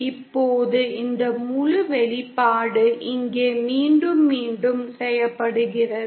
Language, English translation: Tamil, Now this whole expression is repeated here